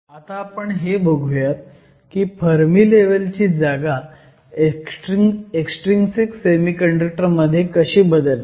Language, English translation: Marathi, The next thing I am going to do is look at how the Fermi level position changes in an extrinsic semiconductor